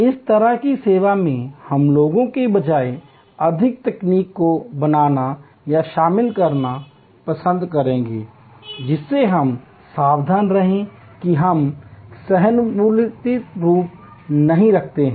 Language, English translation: Hindi, In this kind of service, we will like to create or rather induct more technology rather than people that we careful that we do not pare empathy